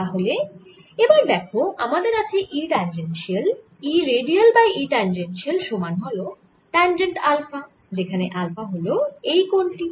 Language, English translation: Bengali, so let us see now i have e tangential or e redial divided by e tangential is equal to tangent of alpha, where alpha is this angel, e radial divided by e tangential tangent of alpha